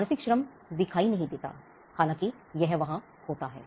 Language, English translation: Hindi, The mental labor is not discernable though it is there